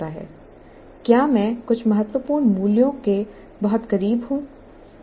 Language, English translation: Hindi, Am I too close to some critical parameter